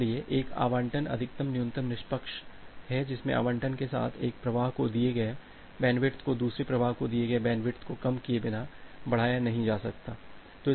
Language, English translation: Hindi, So, an allocation is max min fair if the bandwidth given to one flow cannot be increased without decreasing the bandwidth given to another flow with an allocation